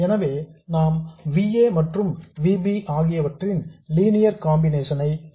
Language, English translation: Tamil, So we have a linear combination of VA and VB